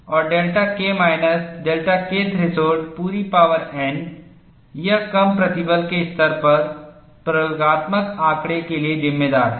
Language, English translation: Hindi, And delta K minus delta K threshold whole power whole power n it accounts for experimental data at low stress levels